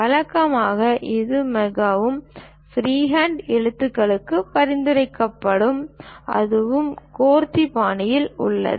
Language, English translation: Tamil, Usually, it is recommended most freehand lettering, and that’s also in a gothic style